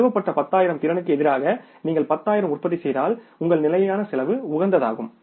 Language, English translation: Tamil, If you manufacture 10,000 against the installed capacity of 10,000 your fixed cost is the optimum